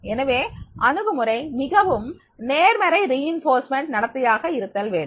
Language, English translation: Tamil, The approach is required to be the very positive reinforcement behavior is required